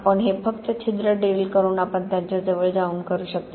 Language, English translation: Marathi, You can only do it by drilling a hole and getting close to it